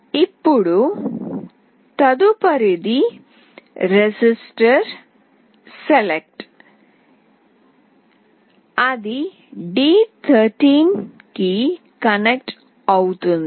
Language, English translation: Telugu, Now, next one is register select that will be connected to d13